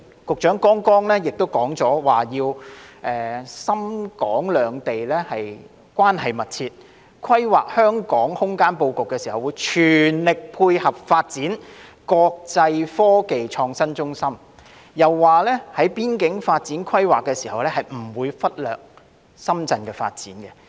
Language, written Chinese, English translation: Cantonese, 局長剛才亦提到要讓深港兩地關係更趨密切，規劃香港空間布局時會全力配合，支持港深合作建設國際科技創新中心，又說在規劃邊境發展時不會忽略深圳的發展。, Just now the Secretary called for closer ties to be forged between Shenzhen and Hong Kong and said that in planning the spatial layout of Hong Kong every effort would be made to work with Shenzhen to create an international innovation and technology hub . He also said that the development of Shenzhen would not be ignored in the course of land planning for the border areas